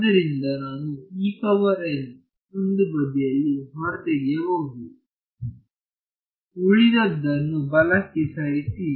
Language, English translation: Kannada, So, I can pull out E n on one side; move everything else to the right hand side right